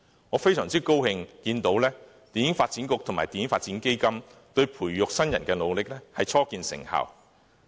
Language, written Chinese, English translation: Cantonese, 我非常高興看到香港電影發展局及電影發展基金對於培育新人的努力初見成效。, I have seen with great delight the preliminary achievements of the Film Development Council and Film Development Fund in grooming talents